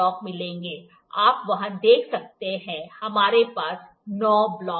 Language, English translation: Hindi, You can see there, we have nine blocks